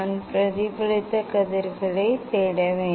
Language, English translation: Tamil, I have to look for reflected rays